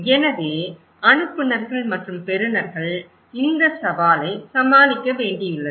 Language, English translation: Tamil, So, the senders and receivers they are challenged